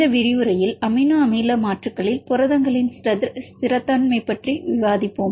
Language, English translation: Tamil, In this lecture we will discuss about the stability of proteins upon amino acid substitutions